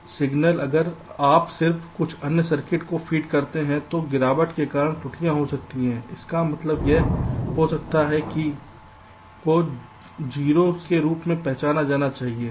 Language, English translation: Hindi, the signal if you just feeding to some other circuits, because of degradation there can be errors, means a one might be recognize as a zero, something like that